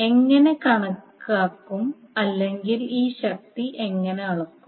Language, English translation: Malayalam, How will calculate or how will measure this power